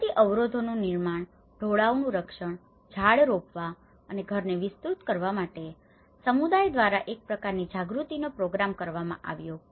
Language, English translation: Gujarati, Construction of natural barriers, protecting slopes, planting trees and extending the house you know, some kind of awareness has been programmed with the community